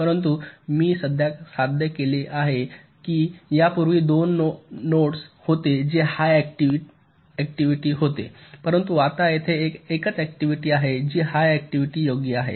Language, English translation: Marathi, right, but what i have achieved is that earlier there are two nodes that were high activity, but now there is a single node which is high activity, right